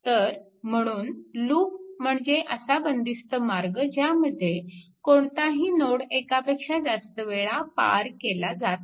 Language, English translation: Marathi, So, that is why a loop is a close path with no node pass more than once